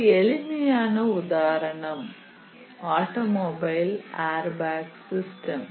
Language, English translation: Tamil, One of the very simple example may be an automobile airbag system